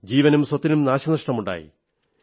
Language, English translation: Malayalam, There was also loss of life and property